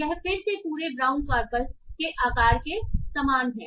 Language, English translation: Hindi, This is again similar to the size of the entire brown corpus